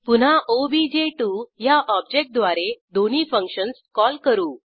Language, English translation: Marathi, Again, we call the two functions using the object obj2